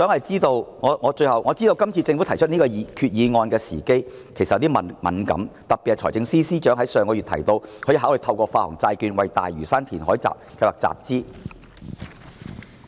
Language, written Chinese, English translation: Cantonese, 最後，政府今次提出此項決議案的時機其實有些敏感，尤其是財政司司長上月提到可以考慮透過發行債券為大嶼山填海計劃集資。, One last point the timing of this proposed Resolution is indeed quite sensitive especially since the Financial Secretary mentioned the possibility of raising funds for the Lantau reclamation plan through bond issuance last month